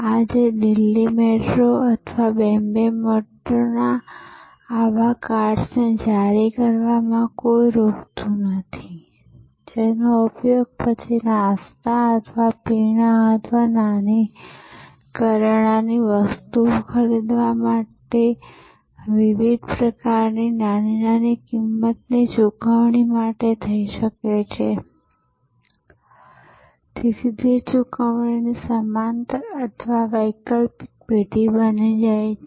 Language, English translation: Gujarati, Today, nothing stops Delhi Metro or Bombay Metro to issue such cards, which can then be used for different kinds of small value payments for buying snacks or drinks or small grocery items and so it becomes a parallel or an alternate firm of payment